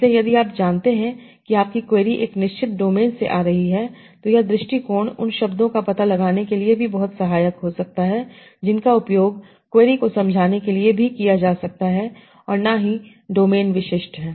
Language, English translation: Hindi, So if you know that you query in a certain is coming from a certain domain, this approach can be very, very helpful to also find out terms that can be used to expand the query and are also domain specific